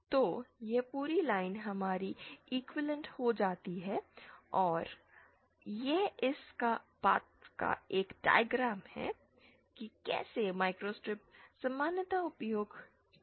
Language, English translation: Hindi, So, this entire line becomes equivalent to our this and this is one diagram of how microstrips are used commonly